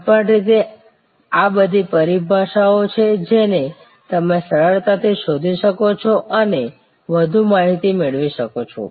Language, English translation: Gujarati, Anyway these are all terminologies that you can easily search and get much more data on